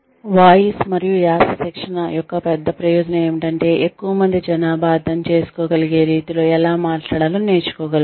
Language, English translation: Telugu, The big benefit of voice and accent training is that, one is able to learn how to speak in a manner that one can be understood, by a larger population of people